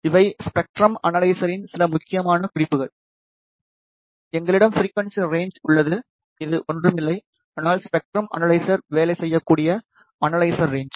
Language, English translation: Tamil, These are some important specifications of a spectrum analyzer; we have frequency range, which is nothing, but the range of analysis through which the spectrum analyzer can work